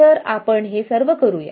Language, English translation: Marathi, So, we will try to do this